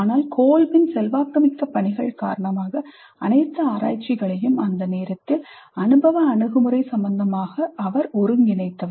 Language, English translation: Tamil, But the major thrust was due to the influential work of Kolb who synthesized all the research available up to that time regarding experiential approaches